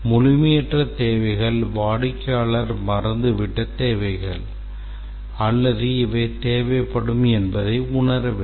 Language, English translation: Tamil, Incomplete requirements are the requirements that the customer has forgotten or does not realize that these will be needed